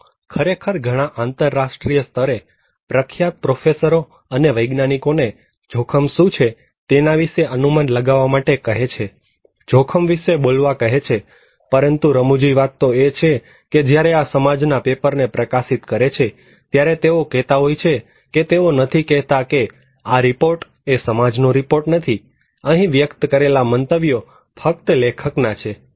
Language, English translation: Gujarati, They actually asking many famous acknowledged internationally acclaimed professors, scientists to estimate and tell them what is risky, to talk about a risky but very funny thing is that when these society is publishing this white paper, they are saying then you know disclaimer they are not saying that this report is not a report of the society, the views expressed are those of the authors alone